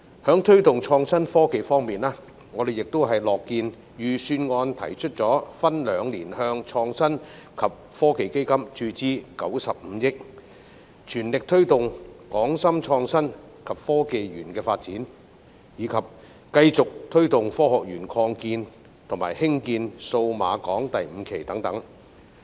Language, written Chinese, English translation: Cantonese, 在推動創新科技方面，我們亦樂見預算案提出分兩年向創新及科技基金注資95億元，全力推動港深創新及科技園的發展，以及繼續推動香港科學園擴建及興建數碼港第五期等。, In respect of promoting innovation and technology we are also pleased to see that the Budget proposes to inject 9.5 billion into the Innovation and Technology Fund over two years to fully promote the development of the Hong Kong - Shenzhen Innovation and Technology Park as well as continue to promote the Science Park expansion and Cyberport 5 development